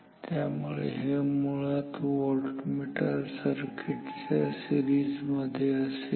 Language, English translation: Marathi, So, this is actually in series with the voltmeter circuit